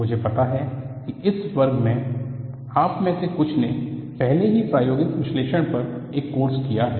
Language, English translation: Hindi, I know in this class, some of you have already done a course on experimental analysis